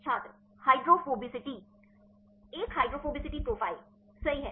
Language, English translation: Hindi, Hydrophobicity A hydrophobicity profiles right